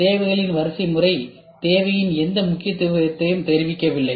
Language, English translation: Tamil, The needs hierarchy does not convey any importance of the need